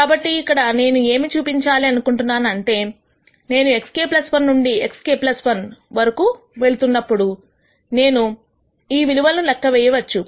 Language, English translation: Telugu, So, what I am trying to show here is that when I am moving from x k to x k plus 1, I could compute all of these quantities